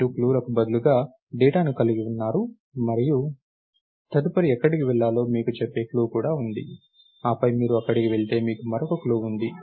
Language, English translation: Telugu, You you have data instead of clues and you also have clue which tells you where to go next and then, you go there ah